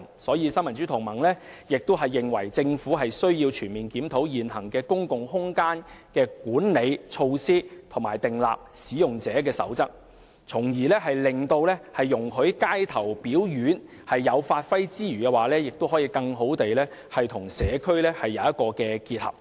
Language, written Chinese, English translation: Cantonese, 新民主同盟認為，政府需要全面檢討現行的公共空間管理措施及訂立使用者守則，容許街頭表演者發揮之餘，亦可以更好地與社區結合。, The Neo Democrats thinks that the Government needs to conduct a comprehensive review of the existing measures for managing public space and formulate user guidelines so as to enable street artists to display their talents while also achieving better integration with the community